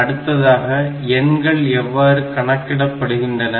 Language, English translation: Tamil, Next part is the numbers like, how are the numbers manipulated